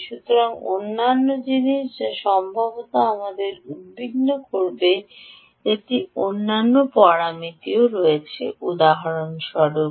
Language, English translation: Bengali, so, ah, other thing which perhaps we will have to worry about is there are other parameters as well